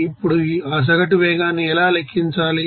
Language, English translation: Telugu, Now, to find out that average velocity